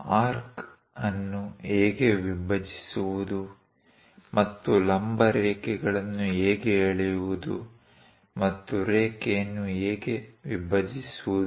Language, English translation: Kannada, How to bisect an arc and how to draw perpendicular lines and how to divide a line